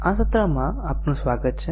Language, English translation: Gujarati, Welcome to this session